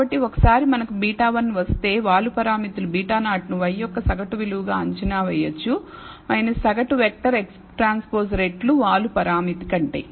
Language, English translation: Telugu, So, once we get beta 1 the slope parameters beta naught can be estimated as the mean value of y minus the mean vector X transpose times the slope parameter